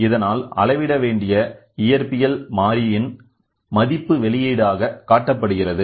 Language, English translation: Tamil, So, that the value of the physical variable to be measured is displayed as output